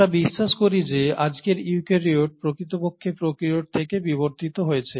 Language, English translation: Bengali, Thus we believe that today’s eukaryotes have actually evolved from the prokaryotes